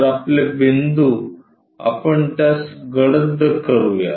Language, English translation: Marathi, So, our points so let us darken it